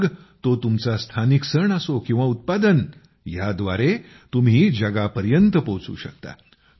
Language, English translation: Marathi, Be it your local festivals or products, you can make them global through them as well